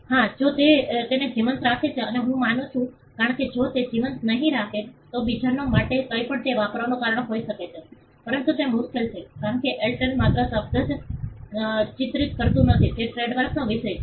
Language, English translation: Gujarati, Yes if it is keeping it alive and I would guess that they are keeping it alive, I would guess that, because it if they do not keep it alive, then there could be a reason for others to use it for whatever, but it is difficult because Airtel not just the mark the word itself is a subject matter of trademark